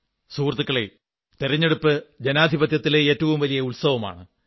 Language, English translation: Malayalam, Friends, elections are the biggest celebration of democracy